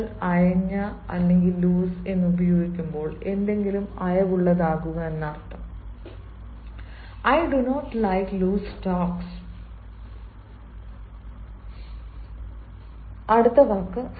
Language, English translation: Malayalam, but when you are using loose means to a make something loose, please, i, i dont ah like loose talks, fine